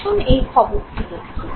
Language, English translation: Bengali, Look at this news item